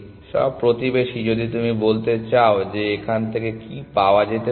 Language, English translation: Bengali, All neighbors if you want to say or what are reachable from there